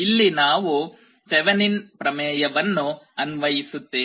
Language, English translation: Kannada, Here we apply something called Thevenin’s theorem